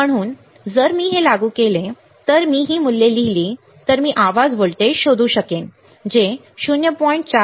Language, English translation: Marathi, So, if I apply this if I write this values I can find out the noise voltage which is 0